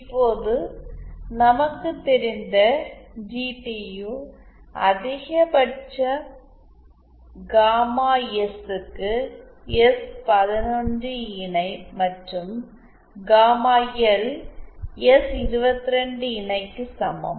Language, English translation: Tamil, Now GTU max as we know is obtained for gamma S equal to S 1 1 conjugate and gamma L equal to S 2 2 conjugate